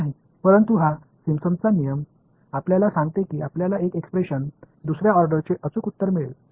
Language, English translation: Marathi, But, this Simpson’s rule tells you gives you one expression which is accurate to order second order